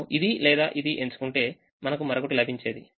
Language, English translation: Telugu, if we had chosen this or this, we would have got the other